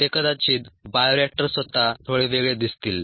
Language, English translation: Marathi, the bioreactors themselves might look a little different